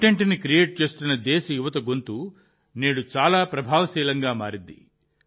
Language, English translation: Telugu, The voice of the youth of the country who are creating content has become very effective today